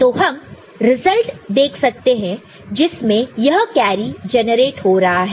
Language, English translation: Hindi, So, you can look at the result, this carry getting generated